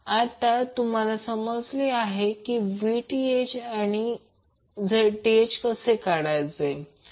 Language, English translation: Marathi, Now, you got Vth and Zth